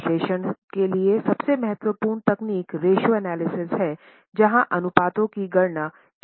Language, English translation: Hindi, The most important technique for analysis is ratio analysis where variety of ratios are calculated